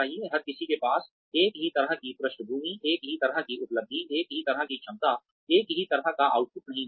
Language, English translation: Hindi, Everybody cannot have the same kind of background, same kind of achievement, same kind of potential, the same kind of output